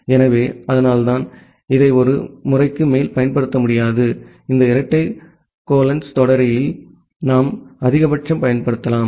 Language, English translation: Tamil, So, that is why we cannot use it more than once, this double colons syntax we can use at most one